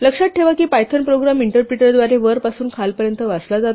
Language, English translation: Marathi, Remember that a Python program is read from top to bottom by the interpreter